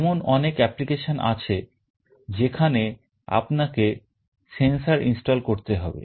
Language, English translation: Bengali, There are many applications where you need to install a sensor